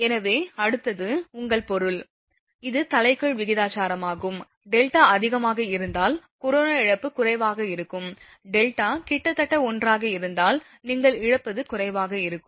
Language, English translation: Tamil, So next is, your I mean it is inversely proportional, if delta is high corona loss will be low, if delta is nearly 1 then corona loss will be your what you call low